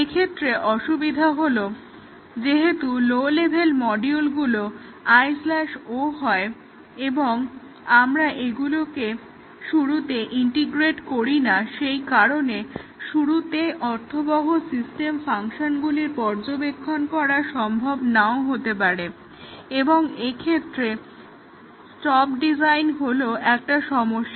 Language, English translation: Bengali, The disadvantage is that since the low level modules are I/O and we do not integrate it in the beginning, so observing meaningful system functions may not be possible to start with and also stop design becomes a problem